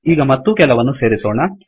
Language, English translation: Kannada, Lets add some more